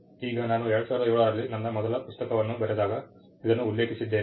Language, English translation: Kannada, Now, I had mentioned this when I wrote my first book in 2007